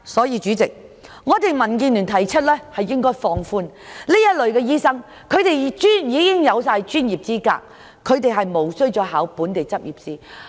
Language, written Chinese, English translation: Cantonese, 因此，民建聯認為應放寬對這類醫生的要求，因他們已擁有專業資格，實無須再應考本地執業試。, Hence DAB considers it necessary to relax the requirements imposed on these doctors because they have already possessed the professional qualifications needed and should not be required to pass the Licensing Examination